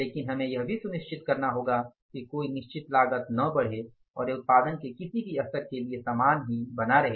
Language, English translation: Hindi, But we will have to make sure there also that no fixed cost is going to increase and it is going to remain the same irrespective of the any level of the production